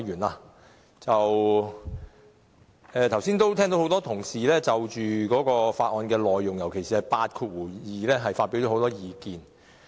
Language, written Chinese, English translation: Cantonese, 剛才我聽到多位同事就《道歉條例草案》內容，尤其是第82條發表很多意見。, Just now a number of Members have expressed their views on the Apology Bill the Bill especially on clause 82